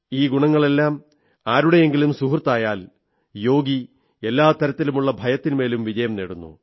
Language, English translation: Malayalam, When so many attributes become one's partner, then that yogi conquers all forms of fear